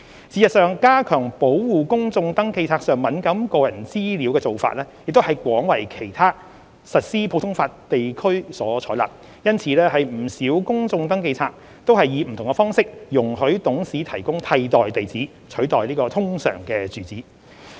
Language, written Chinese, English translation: Cantonese, 事實上，加強保護公眾登記冊上敏感個人資料的做法亦廣為其他實施普通法地區所採納，因此不少公眾登記冊皆以不同方式容許董事提供替代地址，取代通常住址。, In fact enhanced protection for sensitive personal information on public registers has been widely adopted in other common law jurisdictions with directors being allowed to provide their other addresses instead of URAs on many public registers under different arrangements